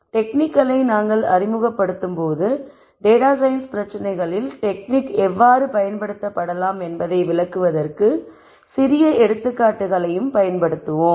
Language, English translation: Tamil, While we introduce the techniques we will also use smaller examples to illustrate how the technique might be used in a data science problem